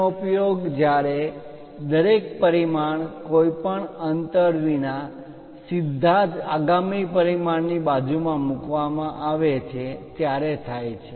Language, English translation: Gujarati, It is used when each single dimension is placed directly adjacent to the next dimension without any gap